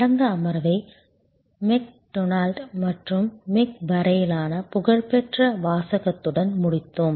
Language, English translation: Tamil, We ended last session with the famous saying from McDonald's to Mc